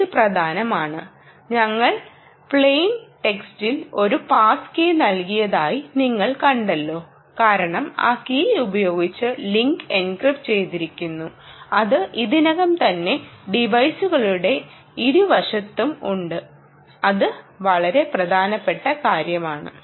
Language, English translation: Malayalam, ok, so that is important, and you may have seen that we gave a pass key in plain text because the link is encrypted using that key that is already there on on either end of the devices, and this is a very important ah thing